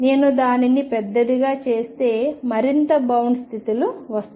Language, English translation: Telugu, If I make it larger and larger more and more bound states will come